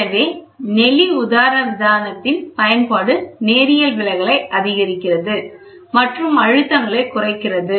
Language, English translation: Tamil, So, use of corrugated diaphragm increases linear deflection and reduces stresses